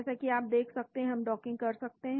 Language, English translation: Hindi, As you can see we can do the docking